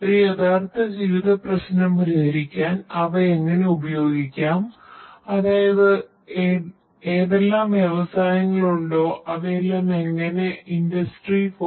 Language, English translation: Malayalam, How they can be really used to address a real life problem; that means, whatever the industries are using how the industry 4